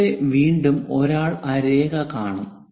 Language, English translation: Malayalam, Here again, one will see that line